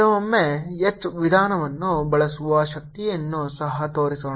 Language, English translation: Kannada, this also shows the power of using h method sometimes